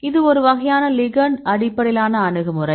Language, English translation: Tamil, This is a kind of ligand based approach